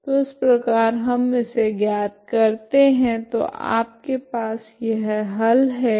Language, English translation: Hindi, So that is how this is how we derived it so you have this solution, okay